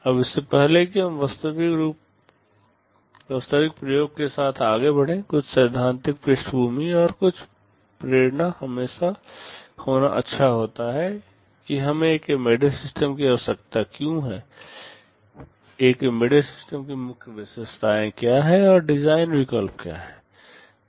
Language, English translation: Hindi, Now before we proceed with the actual experimentation, it is always good to have some theoretical background and some motivation behind why we need an embedded system, what are the main characteristics of an embedded system and what are the design alternatives